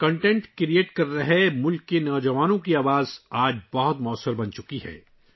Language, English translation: Urdu, The voice of the youth of the country who are creating content has become very effective today